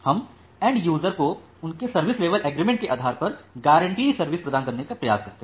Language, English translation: Hindi, We try to provide the kind of guaranteed service to the end users based on their service level agreement